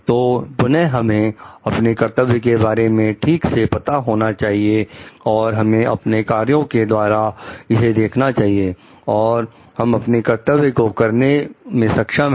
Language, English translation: Hindi, So, like again, we should be like we should be knowledgeable about these duties and we should try to see that through our practices, we are able to do this duty